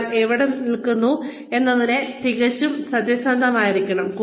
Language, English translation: Malayalam, One has to be, absolutely honest about, where one stands